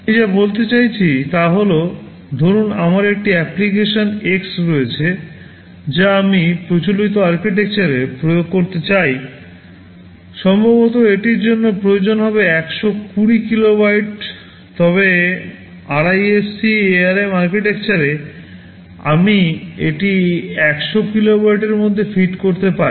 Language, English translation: Bengali, What I mean to say is that, suppose I have an application x X that I want to implement in a conventional architecture maybe it will be requiring 120 kilobytes but in RISC ARM Architecture I can fit it within 100 kilobytes